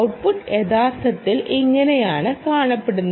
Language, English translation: Malayalam, this is how the ah the output actually looks